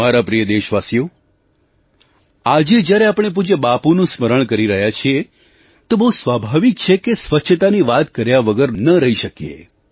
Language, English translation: Gujarati, My dear countrymen, while remembering revered Bapu today, it is quite natural not to skip talking of cleanliness